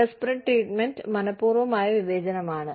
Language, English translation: Malayalam, Disparate treatment is intentional discrimination